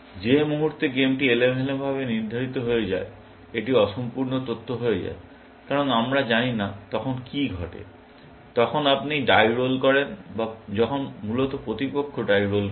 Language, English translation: Bengali, The moment the game becomes stochastic, it becomes incomplete information, because we do not know what happens, when you roll a die or when the opponent rolls a die, essentially